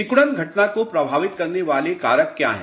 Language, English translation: Hindi, What are the factors which influence shrinkage phenomena